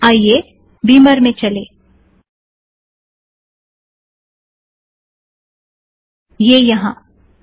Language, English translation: Hindi, Lets go to Beamer, its here